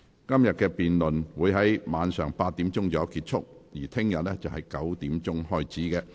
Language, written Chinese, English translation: Cantonese, 今天的辯論會在晚上8時左右結束，而明天的辯論會在上午9時開始。, Todays debate will end at about 8col00 pm and tomorrows debate will start at 9col00 am